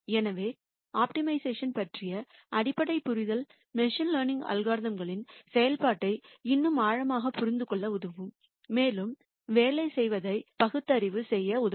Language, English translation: Tamil, So, basic understanding of optimization will help us more deeply understand the working of machine learning algorithms, will help us rationalize the working